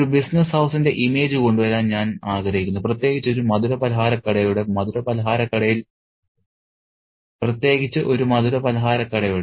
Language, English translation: Malayalam, And I want also to pick up on the image of a business house, especially a sweet shop